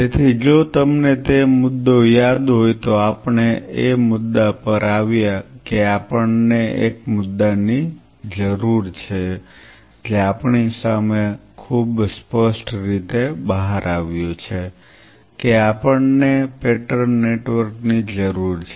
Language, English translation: Gujarati, So, the point just if you recollect we came to the point that we needed one point which came out very clearly in front of us is we needed a pattern network